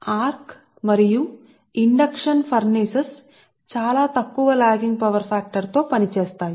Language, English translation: Telugu, arc and induction furnaces operate on very low lagging power factor